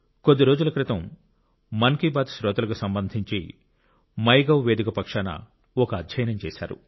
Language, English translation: Telugu, Just a few days ago, on part of MyGov, a study was conducted regarding the listeners of Mann ki Baat